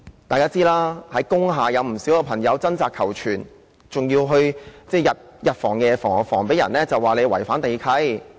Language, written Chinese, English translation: Cantonese, 大家也知道，在工廈有不少朋友正在掙扎求存，他們還要日防夜防，免被指違反地契。, We also know that many of our friends are struggling for survival in industrial buildings . They have to watch out day and night for the prospect of being accused of breaching the conditions of land lease